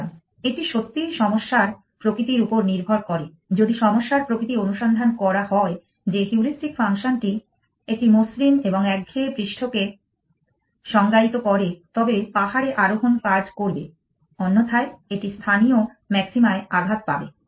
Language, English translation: Bengali, So, it really depends on nature of the problem if the nature of the problem is searched that the heuristic function defines a smooth and monotonic surface then hill climbing will work, otherwise it will get struck to on a local maxima